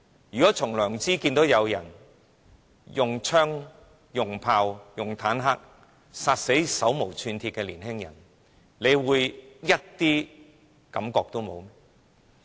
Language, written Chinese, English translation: Cantonese, 有良知的人看到有人用槍、用炮、用坦克殺死手無寸鐵的年輕人，會一點感覺也沒有嗎？, Would a person of conscience feel nothing when he saw unarmed young people being killed by guns cannons and tanks?